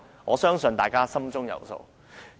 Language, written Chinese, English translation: Cantonese, 我相信大家心中有數。, I believe we all know the answer